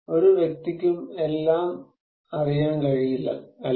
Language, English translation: Malayalam, So, no person can know everything, right